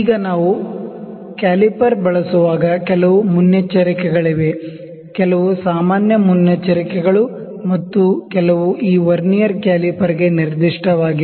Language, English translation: Kannada, Now, there are certain precautions when we use the caliper; some general precautions and some specific to this Vernier caliper